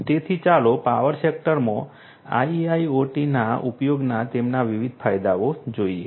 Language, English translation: Gujarati, So, let us look at their different advantages of the use of IIoT in the power sector